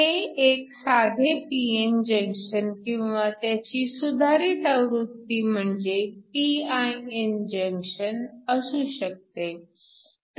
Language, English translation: Marathi, This can a simple p n junction or modification of that which is your pin junction